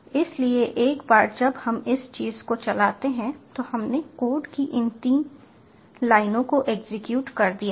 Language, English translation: Hindi, so once we run this thing, so we have executed this thing, this, these three lines of code, ah, again, we will check the directory